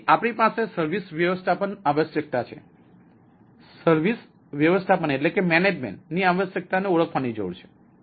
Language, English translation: Gujarati, then we have service management requirement: to need to identify the service management requirement